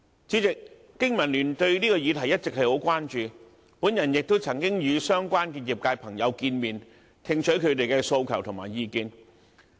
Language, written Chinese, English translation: Cantonese, 主席，香港經濟民生聯盟對這個議題一直十分關注，我亦曾經與相關的業界朋友會面，聽取他們的訴求和意見。, The industry is rather disappointed . President this issue has been high on the agenda of the Business and Professionals Alliance for Hong Kong BPA . I have met with members of relevant sectors to listen to their demands and views